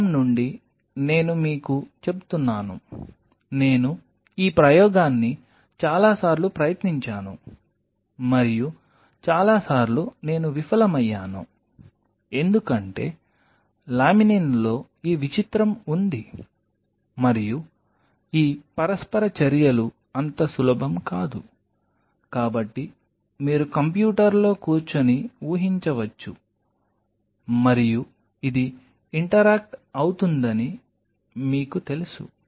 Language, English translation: Telugu, From experience I am telling you I have tried this experiment several times and most of the time I have failed because laminin has this peculiar and these interactions are not so easy that you can predict sitting on a computer and oh you know this is going to interact it really does not happen like that because unless you are at the ground reality